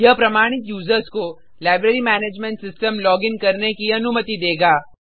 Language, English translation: Hindi, It will allow authenticated users to login to the Library Management System